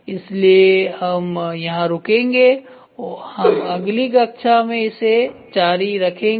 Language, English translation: Hindi, So, we would stop here we will continue in the next class